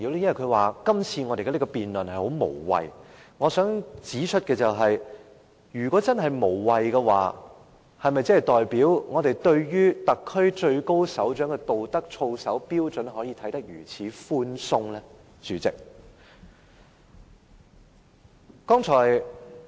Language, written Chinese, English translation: Cantonese, 因為他說我們今次的辯論十分無謂，代理主席，我想指出，如果真的無謂，是否代表我們對於特區最高首長的道德操守標準，可以如此寬鬆地看待？, Deputy President I wish to point out that if this debate is truly meaningless does it mean we can treat the moral conduct and ethics of the highest leader of the SAR casually?